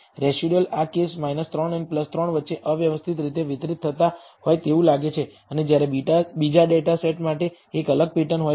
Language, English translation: Gujarati, The residuals seems to be randomly distributed between this case between minus 3 and plus 3 and whereas for the second data set there is a distinct pattern